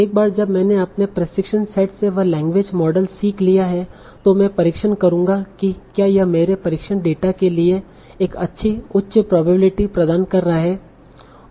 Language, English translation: Hindi, Now once I have learned the language model from my training set, I'll test whether it is providing a good high probability for my test data